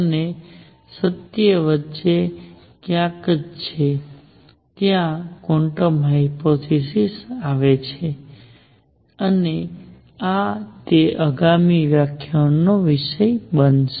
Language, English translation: Gujarati, And truth is somewhere in between and that is where quantum hypothesis comes in and that is going to be the subject of the next lecture